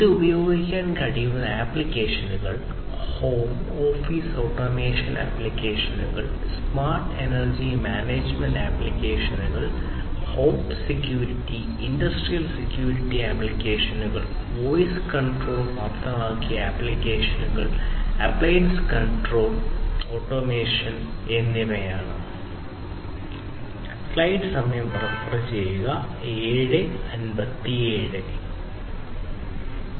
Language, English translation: Malayalam, Applications where it can be used are home and office automation applications, smart energy management applications, smart security, home security, industrial security, industrial surveillance applications, voice control enabled applications, appliance automation and control, and so on